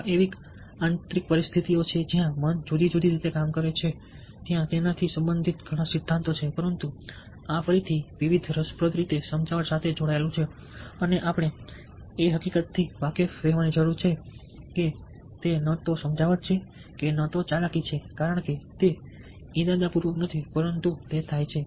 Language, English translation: Gujarati, there are lot of theories related to that, but this again gets linked to persuasion in various interesting ways and we to need to be aware of of the fact that it's neither persuasion nor manipulation, because it is not intentional but it happens